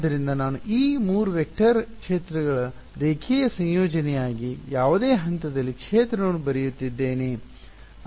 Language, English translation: Kannada, So, I am writing the field at any point as a linear combination of these 3 vector fields